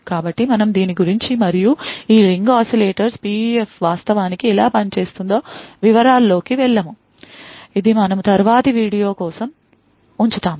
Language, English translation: Telugu, So, we will not go into details about this and how this Ring Oscillators PUF actually works, this we will actually keep for the next video